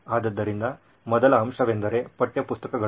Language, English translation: Kannada, So the first component would be textbooks